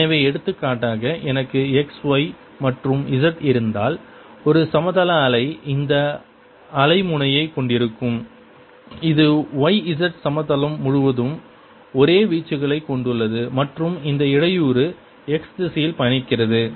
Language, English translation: Tamil, so for example, if i have x, y and z, a plane wave would have this wave front which has the same amplitude all over by the plane, and this, this disturbance, travels in the y direction